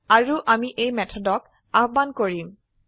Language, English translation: Assamese, And we will call this method